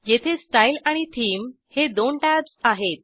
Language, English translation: Marathi, Here, there are two tabs: Style and Theme